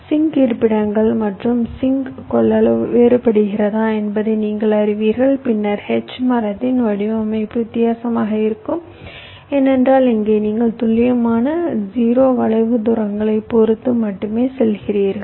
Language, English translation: Tamil, also, if the sink locations and sink capacitances are vary[ing], then the design of the h tree will be different, because here you are saying exact zero skew only with respect to the distances